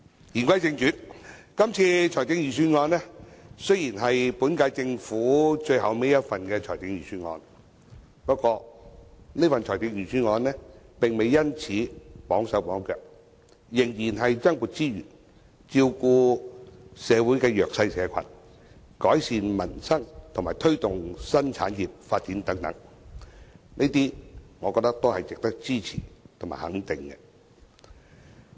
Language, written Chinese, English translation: Cantonese, 言歸正傳，今次的財政預算案雖是本屆政府的最後一份，不過，這份財政預算案並未因而"綁手綁腳"，仍然增撥資源，照顧社會的弱勢社群，改善民生及推動新產業發展等，我覺得這些都是值得支持和肯定。, Although the present Budget is the last one of the current - term Government it does not have its hands tied . Additional resources will still be allocated to take care of the underprivileged groups in the community improve the livelihood of people promote the development of new industries etc . I think these measures deserve our support and recognition